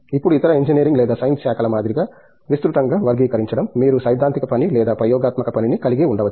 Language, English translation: Telugu, Now, again broadly classifying as in any other engineering or science streams, you could have theoretical work or experimental work